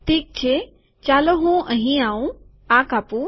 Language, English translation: Gujarati, Okay let me come here, cut this